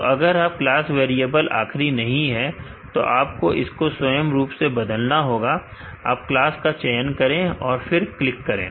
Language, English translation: Hindi, So, in case if your class variable is not the last variable you have to change it manually select the class and click on start